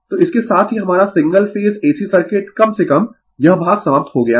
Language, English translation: Hindi, So, with these right our single phase AC circuit at least this part is over right